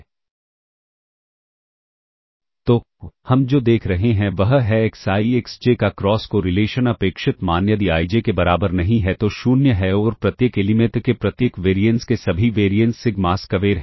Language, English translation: Hindi, So, the, what we are seeing is the cross correlation, expected value of xi xj, if iNot equal to j is 0 all right and all the variances of each of variance of each element is sigma square